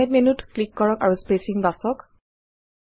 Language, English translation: Assamese, click on Format menu and choose Spacing